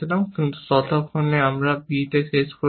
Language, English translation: Bengali, Then, you achieve on a b